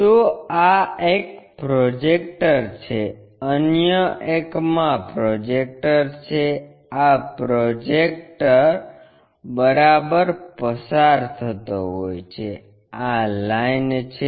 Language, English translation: Gujarati, So, this is one projector other one is this projector, this supposed to be a projector passing through ok, this is the line